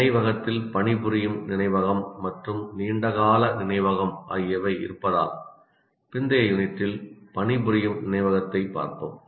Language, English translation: Tamil, We will look at working memory in the later unit because memory consists of working memory and long term memory